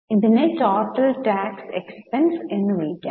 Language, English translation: Malayalam, This is called as total tax expenses